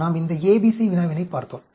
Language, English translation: Tamil, We looked at this A, B, C problem